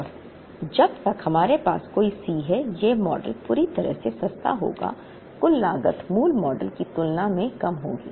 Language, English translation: Hindi, And as long as, we have any C s this model will be totally cheaper the total cost would be less than that of the basic model